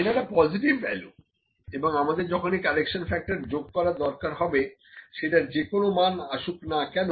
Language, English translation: Bengali, So, this is a positive value and when we need to add the correction factor; the correction factor is whatever the value comes